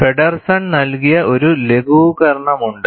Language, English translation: Malayalam, There is a simplification given by Feddersen